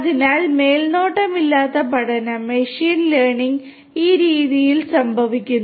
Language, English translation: Malayalam, So, unsupervised learning; in this the machine learning happens in this way